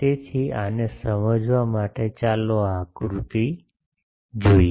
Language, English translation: Gujarati, So, to understand this let us look at the this diagram